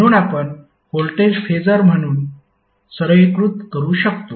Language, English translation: Marathi, So now how you will represent the voltage in phasor terms